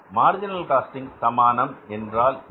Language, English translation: Tamil, So, what is this marginal costing equation